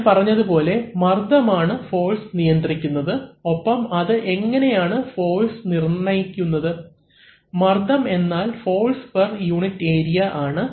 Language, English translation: Malayalam, Now as I said that pressure determines force and how does it determine force, pressure is given as force per unit area of the application of the pressure